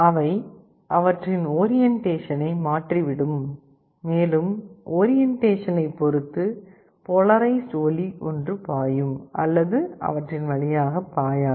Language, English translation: Tamil, They will change their orientation, and depending on the change in orientation, the polarized light will either flow or a not flow through them